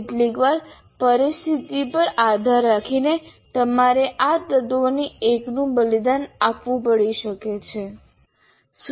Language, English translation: Gujarati, So sometimes depending on the situation, you may have to sacrifice one of these elements